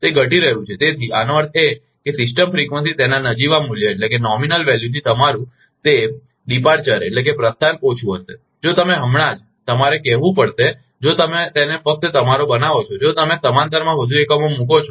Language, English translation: Gujarati, It is decreasing so; that means, your that departure of the system frequency from its nominal value will be less, if you just, you have to call if you just make it your if you put more units in parallel